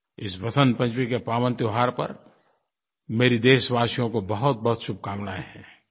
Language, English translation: Hindi, I extend my best wishes to my countrymen on the pious occasion of Vasant Panchami